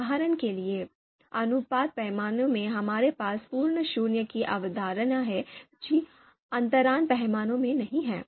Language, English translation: Hindi, For example in ratio scale, we have the concept of absolute zero which is not there in the interval scale